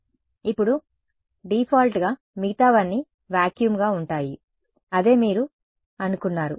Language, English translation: Telugu, Now, by default everything else is vacuum that is what you would expect ok